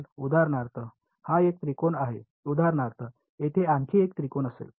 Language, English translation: Marathi, So, this is 1 triangle for example, there will be another triangle over here